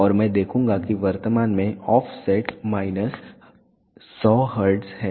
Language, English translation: Hindi, And I will see that the offset is currently minus 100 hertz